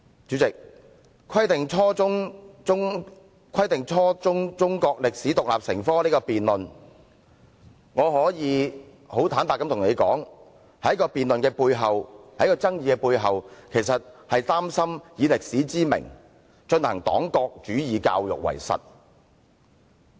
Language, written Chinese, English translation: Cantonese, 主席，就"規定初中中國歷史獨立成科"這項辯論，我可以很坦白對你說，在辯論及爭議的背後，我其實是擔心有人以歷史之名，行黨國主義教育之實。, President frankly speaking I am afraid that the underlying purpose of this debate on Requiring the teaching of German history as an independent subject at junior secondary level is that some people are trying to introduce education on one - party state ideology in the name of teaching history